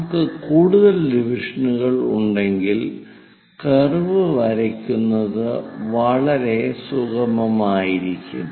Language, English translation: Malayalam, If we have more number of divisions, the curve will be very smooth to draw it